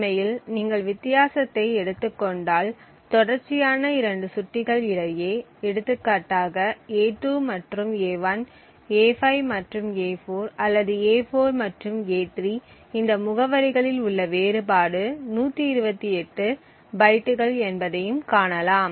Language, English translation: Tamil, So note that each allocation request is for 120 bytes and if you actually take the difference between any two consecutive pointers, for example a2 and a1, a5 and a4 or a4 and a3 you would see that the difference in these addresses is 128 bytes, the extra 8 bytes comes due to the presence of the metadata